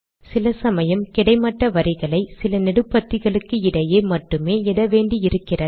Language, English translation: Tamil, Sometimes it is necessary to draw horizontal lines between only a few columns